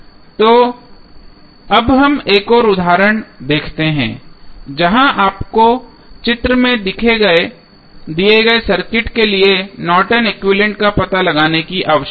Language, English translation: Hindi, So, now let us see another example where you need to find out the Norton's equivalent for the circuit given in the figure